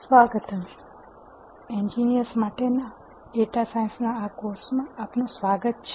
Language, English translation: Gujarati, Welcome, to this course on Data Science for Engineers